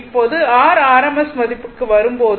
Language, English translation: Tamil, Now, when you come to your rms value